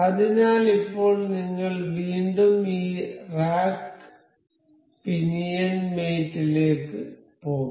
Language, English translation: Malayalam, So, now, again we will go to this rack and pinion mate